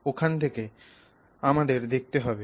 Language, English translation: Bengali, So, from there we have to see